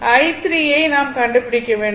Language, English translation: Tamil, This one you have to find out what you call i 3